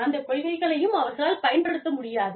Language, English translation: Tamil, They will not be able to, use those policies